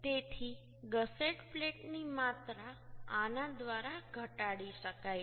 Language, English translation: Gujarati, So the amount of gusset plates can be minimized through this